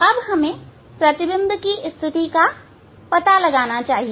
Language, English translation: Hindi, When we find the position of the image